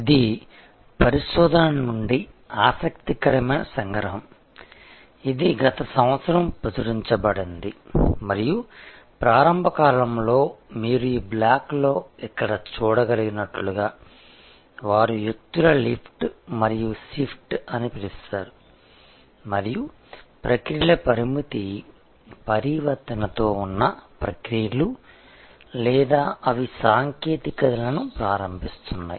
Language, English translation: Telugu, This is an interesting extraction from the research, which was published last year and it shows that in the initial period as you can see here in this block, what they call lift and shift of people and existing processes with limited transformation of processes or they are enabling technologies